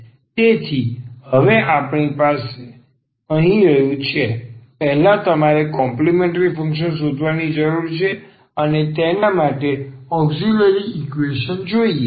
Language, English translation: Gujarati, So, what do we have here, first we need to find the complementary function and for that we need this equation here the auxiliary equation